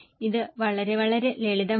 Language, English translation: Malayalam, It is simple